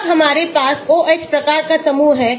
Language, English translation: Hindi, When we have OH type of group